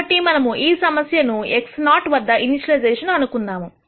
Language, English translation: Telugu, So, let us assume that we initialized this problem at x naught